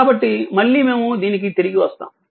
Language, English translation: Telugu, So, again we will come back to this